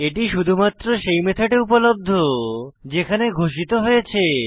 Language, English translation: Bengali, It is available only to the method inside which it is declared